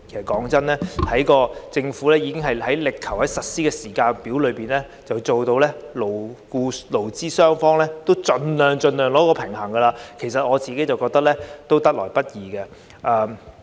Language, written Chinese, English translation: Cantonese, 老實說，政府已力求在實施時間表上盡量在勞方與資方之間取得平衡，我認為這已是得來不易。, Honestly the Government has strived to strike a balance between employers and employees on the implementation timetable as far as possible and I think this is hard - earned